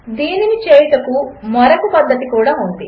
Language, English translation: Telugu, There is one more way of doing it